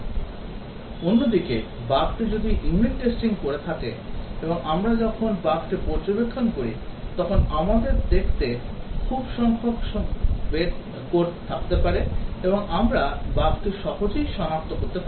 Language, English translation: Bengali, (Refer Slide Tie: 25:11) On the other hand, if the bug if I done the unit testing, and when we observed the bug, we might have very small number of code to look at, and we can easily identify the bug